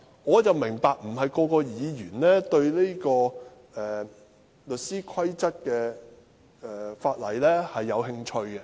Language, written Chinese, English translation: Cantonese, 我明白不是每位議員都對有關律師規則的法例有興趣。, I understand that not every Member is interested in the legislation relating to the Solicitors Rules